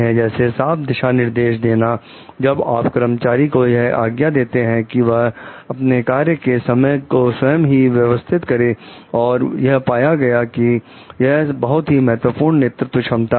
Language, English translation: Hindi, So, like providing clear direction while allowing employees to organize their time in work has been identified as the important leadership competency